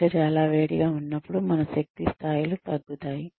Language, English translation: Telugu, When it is very hot outside, our energy levels do go down